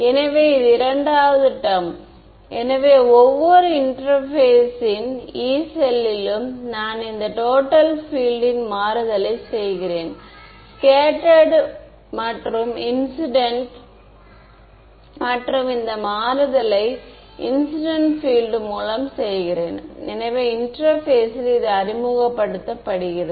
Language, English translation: Tamil, So, this second term; so, at every Yee cell on the interface I will have this replacement of total field by scattered plus incident and the incident field therefore, gets introduced at the interface